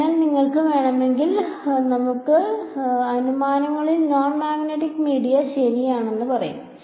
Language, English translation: Malayalam, So, if you want we can say in assumptions non magnetic media ok